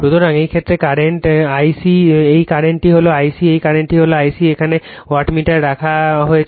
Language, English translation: Bengali, So, in this case your , current is here it is I c this current is your I c right , this current is I c right the , wattmeter is placed here